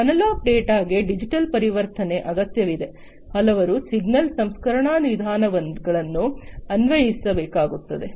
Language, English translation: Kannada, The analog data needs digital conversion to apply several signal processing methods